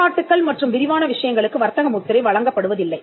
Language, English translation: Tamil, So, laudatory and descriptive matters are not granted trademark